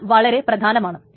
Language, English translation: Malayalam, So that's very important